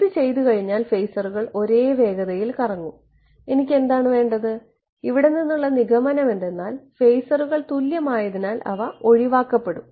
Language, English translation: Malayalam, The phasors will rotate at the same speed once this is done, what do I have to I mean the immediate conclusion from here is because the phasors are equal they can get cancelled off right right